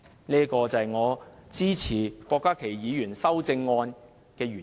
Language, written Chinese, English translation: Cantonese, 這是我支持郭家麒議員修正案的原因。, This is the reason for my support of Dr KWOK Ka - kis amendment